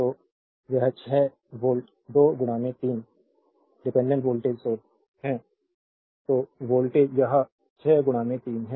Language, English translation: Hindi, So, it is 6 volt 2 into 3 dependent voltage source 6 volt it is 6 into this 3